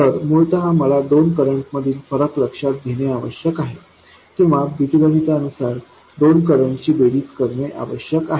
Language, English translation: Marathi, So essentially I need to be able to take the difference between two currents or algebraically sum of two currents